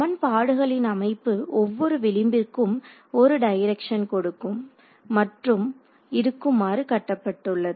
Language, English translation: Tamil, So, it's built into the system of equations that you will get only one direction for each edge